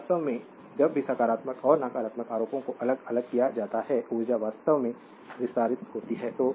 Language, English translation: Hindi, So, actually whenever positive and negative charges are separated energy actually is expanded